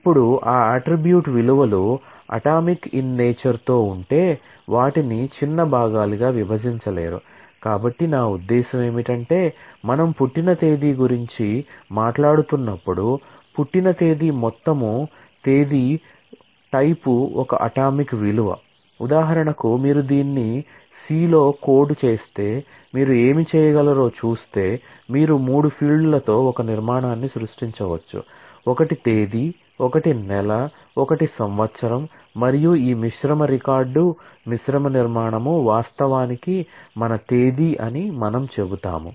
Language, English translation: Telugu, For example, if you were to code this in C what you could do you could possibly create a structure with three fields; one is date, one is a month, one is a year and we will say that this composite record composite structure is actually my date